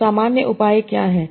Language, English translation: Hindi, So what are the common measures